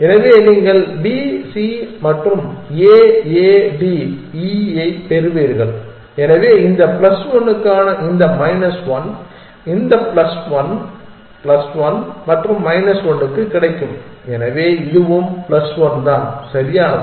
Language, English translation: Tamil, you would get B C and A A D E, so this minus 1 for this plus 1 for this plus 1 plus 1 and minus 1, so this is also plus 1 is that correct